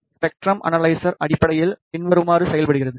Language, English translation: Tamil, The spectrum analyzer basically functions as follows